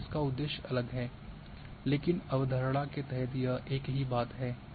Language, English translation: Hindi, So, the purpose there is different but the concept wise it is same thing here